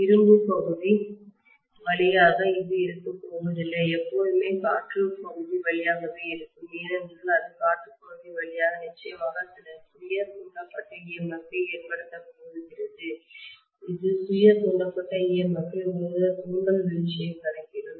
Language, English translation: Tamil, It is hardly ever through the iron part it is going to be always through the air part, because it is through the air path definitely it is going to cause some self induced EMF that self induced EMF will account for some kind of inductive drop